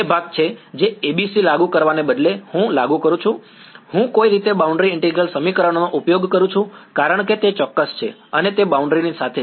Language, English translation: Gujarati, Is the part which instead of applying a ABC I apply, I somehow use the boundary integral equations, because they are exact and they are along the boundary